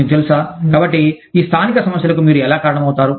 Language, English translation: Telugu, You know, so, how do you, account for these local problems